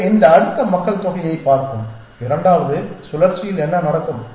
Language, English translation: Tamil, So, let us look at this next population and what would happen in the second cycle